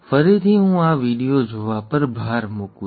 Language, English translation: Gujarati, Again let me emphasize the watching of this video